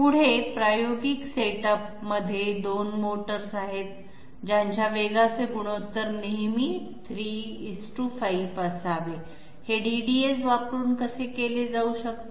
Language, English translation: Marathi, Next one, there are 2 motors in an experimental setup which should always have their speeds the ratio 3:5, how can this be done by the use of DDAs